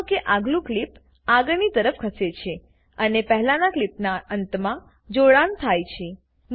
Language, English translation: Gujarati, Notice that the next clip moves forward and joins the end of the previous clip